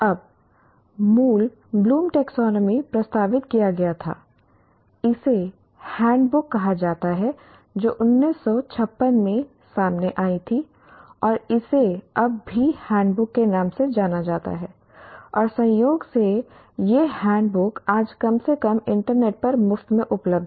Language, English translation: Hindi, Now the original Bloom's taxonomy was proposed in the hand, it's called handbook which came out in 1956 and it is now still popularly known as handbook and incidentally this handbook is available today at least on the internet freely